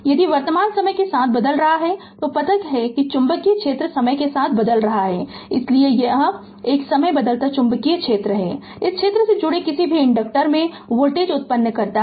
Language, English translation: Hindi, If the current is varying with time that you know then the magnetic field is varying with time right, so a time varying magnetic field induces a voltage in any conductor linked by the field this you know